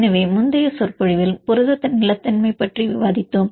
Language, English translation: Tamil, So, in the previous lecture we discussed about protein stability